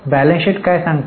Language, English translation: Marathi, Balance sheet gives you what